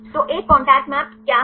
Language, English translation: Hindi, So, what is a contact map